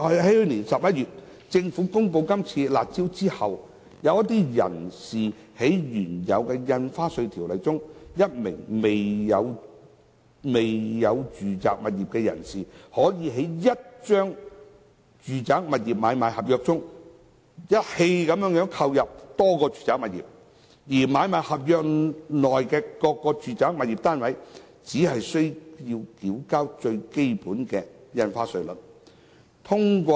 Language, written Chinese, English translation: Cantonese, 去年11月，政府公布"辣招"後，根據現行《條例》，一名未曾擁有住宅物業的人士在1張住宅物業買賣合約下，一次性購入多個住宅物業，而他就買賣合約內各個住宅物業單位，只須按最基本的印花稅率繳交印花稅。, After the Government announced the curb measure last November under the existing Ordinance if a person who does not own any residential property acquires multiple residential properties under a single sale and purchase agreement he only needs to pay stamp duty at the basic rates for all residential flats under the sale and purchase agreement